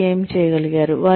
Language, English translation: Telugu, What they have been able to do